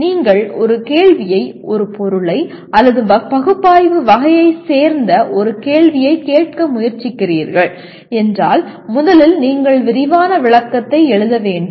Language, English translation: Tamil, And if you are trying ask a question/an item or a question that belongs to the category of analyze, first thing is you have to write elaborate description